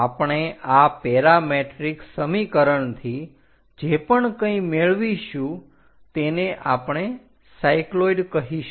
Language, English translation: Gujarati, We are going to get from this parametric equations, that is what we call cycloids